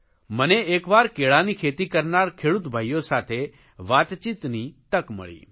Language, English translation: Gujarati, Once I had the opportunity of talking to farmers involved in Banana cultivation